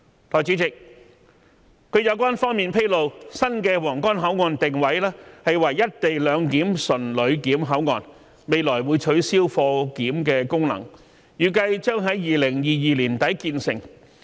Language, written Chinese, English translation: Cantonese, 代理主席，據有關方面披露，新的皇崗口岸會定位為"一地兩檢"純旅檢口岸，未來會取消貨檢功能，預計將於2022年年底建成。, Deputy President according to the relevant source the new Huanggang Port will be positioned as a pure passenger clearance land route port and co - location arrangement will be implemented at the port while its cargo clearance function will be abolished . The redevelopment is anticipated to be completed by the end of 2022